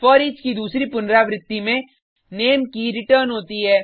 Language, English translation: Hindi, In the next iteration of foreach, Name key is returned